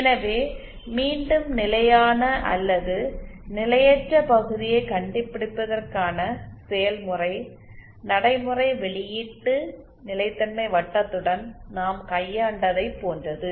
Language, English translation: Tamil, So again the process procedure to find out the stable or unstable region is the same as that the case we dealt with the output stability circle